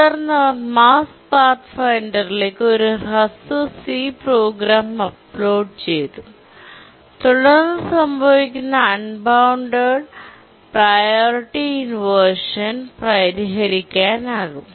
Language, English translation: Malayalam, And then they uploaded a short C program onto the Mars Pathfinder and then the unbounded priority inversion that was occurring could be tackled